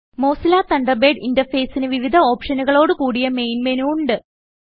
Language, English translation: Malayalam, The Mozilla Thunderbird interface has a Main menu with various options